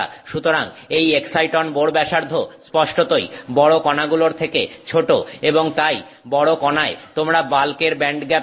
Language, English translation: Bengali, So, this excite on bore radius clearly is smaller than the large particle and therefore in the large particle you see the band gap of the bulk